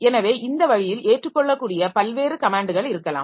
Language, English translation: Tamil, So, this way it can come up with a number of different commands that can be accepted